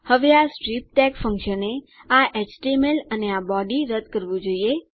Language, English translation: Gujarati, Now this strip tag function must get rid of this html and this body